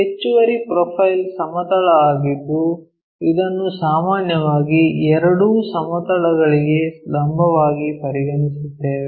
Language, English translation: Kannada, The additional one is our profile plane which usually we consider orthogonal to both the planes that is this one